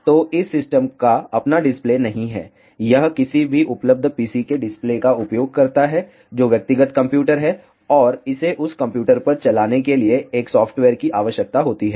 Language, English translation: Hindi, So, this system does not have it is own display, it uses the display of any available PC, which is personal computer and it requires a software to run on that computer